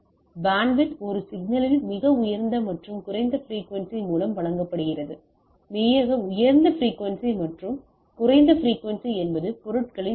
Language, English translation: Tamil, So, it is bandwidth is given by the highest and the lowest frequency for that matter in a signal the highest frequency and lowest frequency is the magnitude of the things right